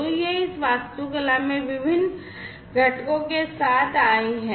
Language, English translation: Hindi, So, this is this architecture that they have come up with these different components